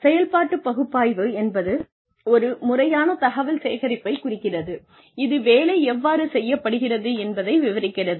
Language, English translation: Tamil, Operations analysis refers to, a systematic collection of information, that describes, how work is done